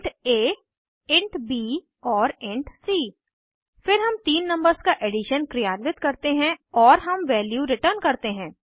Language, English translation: Hindi, Int a, int b and int c Then we perform addition of three numbers